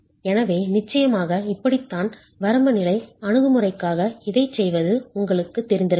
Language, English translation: Tamil, So this is how of course you may be familiar doing this for the limit state approach